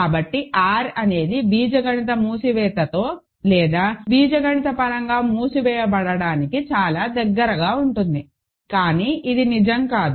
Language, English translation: Telugu, So, R is very close with the algebraic closure or being algebraically closed, but it is not quite true